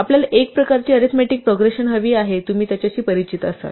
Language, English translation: Marathi, We want a kind of arithmetic progression if you are familiar with that